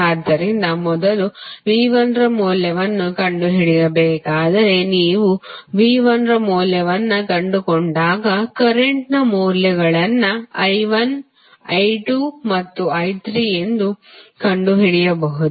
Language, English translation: Kannada, So, you need to first find out the value of V 1 when you find the value of V 1 you can simply find the values of current that is I 1, I 2 and I 3